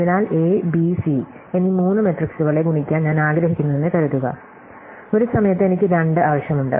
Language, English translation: Malayalam, So, supposing I want to multiply three matrices A, B and C, at a time I can even multiply I need 2